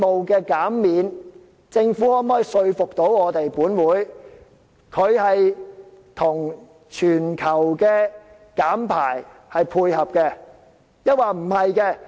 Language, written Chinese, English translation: Cantonese, 究竟政府可否說服本會，這個稅務減免，會與全球減排配合，抑或不是？, Can the Government convince this Council that this tax concession goes hand in hand with global carbon reduction? . Or does it run contrary to the reduction?